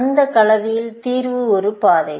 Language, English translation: Tamil, The solution in that combination was a path